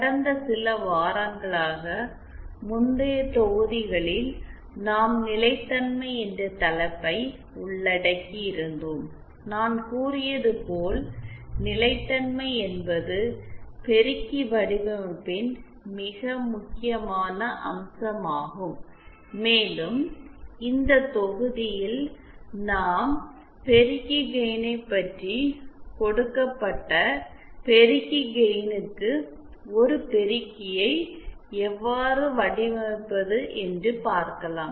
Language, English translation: Tamil, In the previous modules for the past few weeks we had covered the topic of stability and as I had said stability is the very important aspect of amplifier design, and in this module we will be covering about amplifier, about amplifier gain how to design an amplifier with a given gain